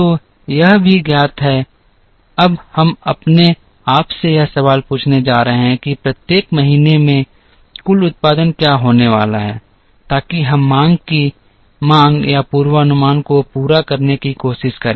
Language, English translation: Hindi, So, this is also known, now we are going to ask ourselves this question what is going to be the total production in each month so that we try and meet the demand or forecast of the demand